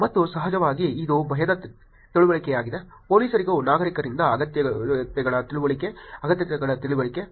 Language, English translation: Kannada, And of course, that is also understanding of fear; understanding of wants, understanding of needs from the citizens for police also